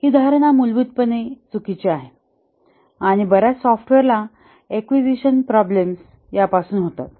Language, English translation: Marathi, This assumption is fundamentally wrong and many software accusation problems spring from this